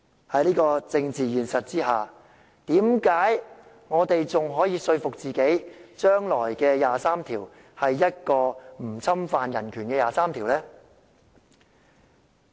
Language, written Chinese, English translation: Cantonese, 在這個政治現實下，為何我們還可以說服自己將來有關第二十三條的法例是一項不侵犯人權的法律呢？, Under such a political reality why can will still convince ourselves that the future legislation for Article 23 will be a law not infringing upon human rights?